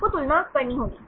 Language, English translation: Hindi, You have to compare